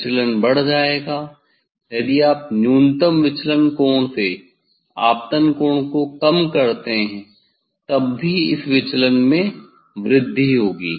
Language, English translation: Hindi, deviation will increase, if you decrease the incident angle from the minimum deviation angle